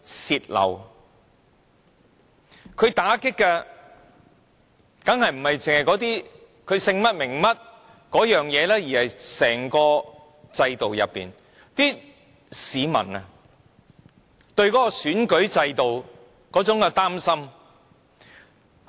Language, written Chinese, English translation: Cantonese, 受到打擊的，當然不只是那些人姓甚名誰，而是市民對整個選舉制度那種擔心。, It deals a severe blow not only to peoples privacy but also to their confidence in the whole electoral system